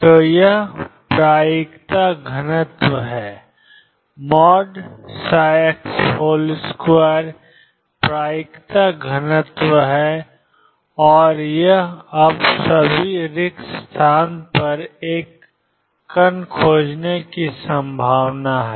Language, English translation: Hindi, So, this is the probability density the psi x square is the probability density and this is the probability now probability of finding a particle all over spaces one